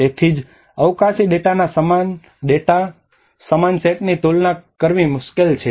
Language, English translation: Gujarati, So that is where a difficult to compare the same set of spatial data